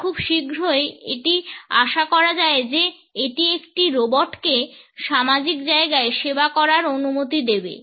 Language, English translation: Bengali, And very soon it is hoped that it would allow a robots to serve in social spaces